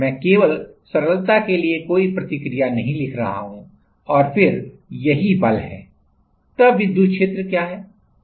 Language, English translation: Hindi, I am not writing any reaction just for simplicity and then this is the force